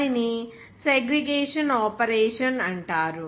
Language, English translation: Telugu, That is called segregation operation